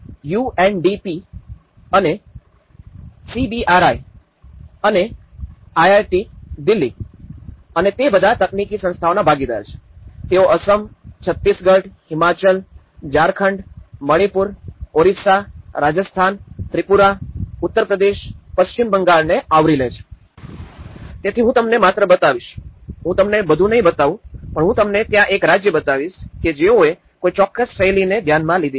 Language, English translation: Gujarati, And UNDP and CBRI and IIT Delhi and they have all been partners of technical institutions, they have already covered Assam, Chhattisgarh, Himachal, Jharkhand, Manipur Orissa, Rajasthan, Tripura, Uttar Pradesh, West Bengal so, I will just show you, I will not show you everything but I will show you one state how there; what is the pattern they have try to addressed